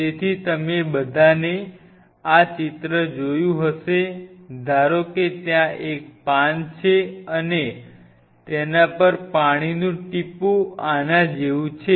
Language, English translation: Gujarati, So, all of you have seen this picture you must have all seen suppose there is a leaf and there is a water droplet on it so, water droplet is like this